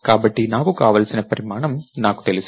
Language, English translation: Telugu, So, I do know the size that I want